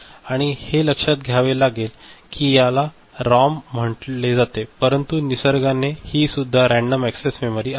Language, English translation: Marathi, And to be noted that though this called ROM it is also a random access memory by nature ok